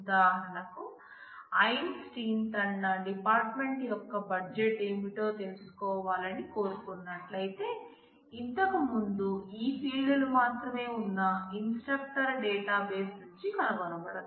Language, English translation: Telugu, For example, if I want to know if Einstein wants to know what is the budget of his department that cannot be found out from the earlier instructor database, instructor relation which had only these fields